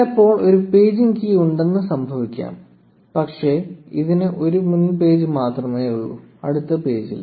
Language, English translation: Malayalam, Sometimes, it may happen that there is a paging key, but it only has a previous page and no next page